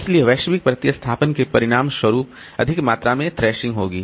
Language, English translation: Hindi, So, as a result, global replacement will lead to more amount of thrashing